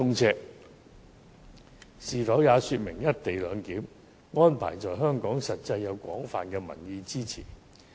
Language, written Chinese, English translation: Cantonese, 這是否說明"一地兩檢"安排在香港獲廣泛民意支持？, Is it not proof that the co - location arrangement receives widespread public support?